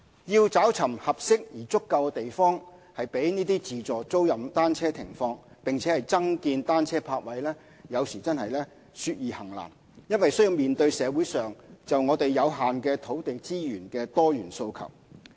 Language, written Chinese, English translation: Cantonese, 要尋找合適而足夠的地方供自助租賃單車停放，並增建單車泊位，有時說易行難，因須面對社會上就有限土地資源的多元訴求。, Because of diversified demands for limited land resources to identify suitable and adequate land for placing automated rental bicycles and increasing the number of bicycle parking spaces is sometimes easier said than done